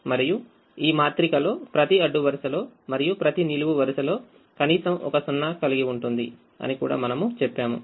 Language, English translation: Telugu, and we also said that this matrix will have atleast one zero in every row and in every column